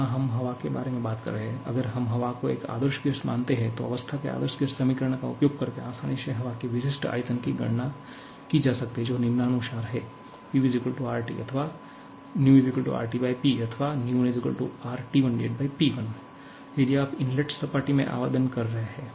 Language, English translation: Hindi, Here, we are talking about air, if we consider air to be an ideal gas, then specific volume of air can easily be calculated using the ideal gas equation of state which is PV = RT that is V = RT/P or V1 = RT1/P1, if you are applying at the inlet plane